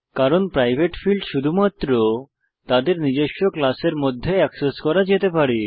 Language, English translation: Bengali, This is because private fields can be accessed only within its own class